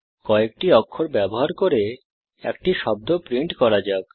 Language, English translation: Bengali, Let us print a word using a few characters